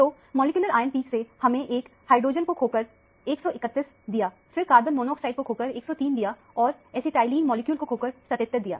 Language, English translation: Hindi, So, from the molecular ion peak, you lose a hydrogen to give 131; then, lose a carbon monoxide to give 103 and lose an acetylene molecule to give 77